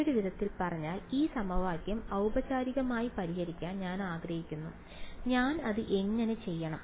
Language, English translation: Malayalam, In other word I want to solve this equation formally, how do I do it